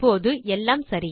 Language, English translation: Tamil, Now everything is right